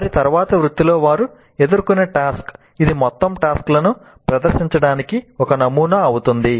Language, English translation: Telugu, So the kind of task that they encounter during their later profession, that becomes the model for presenting the whole tasks